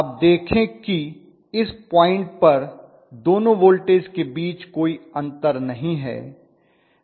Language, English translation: Hindi, You see that at this point there is no difference at all between the two voltages